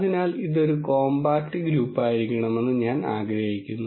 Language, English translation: Malayalam, So, I want this to be a compact group